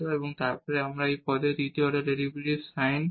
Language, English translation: Bengali, So, we will compute now the second order derivative of this term